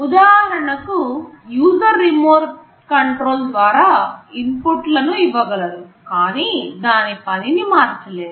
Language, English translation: Telugu, The user can give inputs for example, through the remote controls, but cannot change the functionality